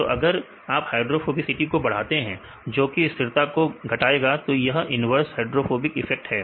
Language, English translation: Hindi, So, if you increase the hydrophobicity that decreases the stability right this is the inverse hydrophobic effect